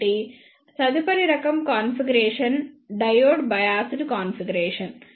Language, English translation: Telugu, So, the next type of configuration is the diode biased configuration